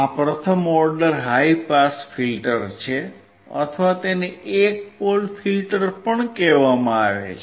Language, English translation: Gujarati, This is first order high pass filter or it is also called one pole filter